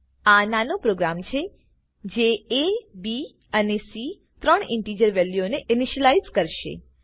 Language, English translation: Gujarati, This is a small program that initializes three integer values a, b, and c